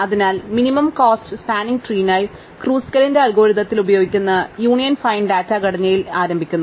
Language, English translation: Malayalam, So, we begin with the Union Find Data Structure which is used in Kruskal's algorithm for the minimum cost spanning tree